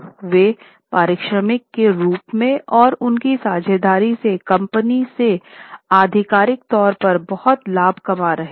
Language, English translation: Hindi, They were making a lot of profit officially from the company as remuneration and also from their partnerships